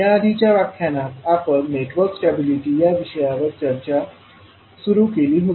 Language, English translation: Marathi, So in the last class, we started the, our discussion on, the topic called Network Stability